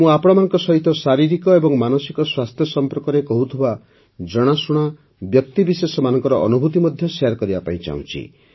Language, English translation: Odia, I also want to share with you the experiences of wellknown people who talk about physical and mental health